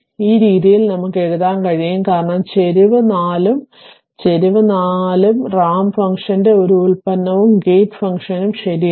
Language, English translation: Malayalam, This way you can write because slope is 4, slope is 4 and it is a product of ramp function and a gate function right